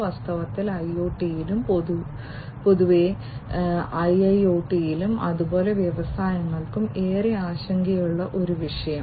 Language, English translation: Malayalam, In fact, a topic, which is of utmost concern in IoT, in general and IIoT, as well for the industries